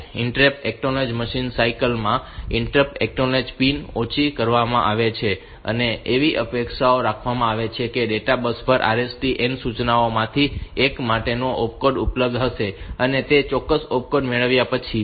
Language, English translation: Gujarati, In this interrupt acknowledge machine cycle this interrupt acknowledge pin is made low and it is expected that on the data bus the opcode for one of the RST n instructions will be available and upon getting that particular opcode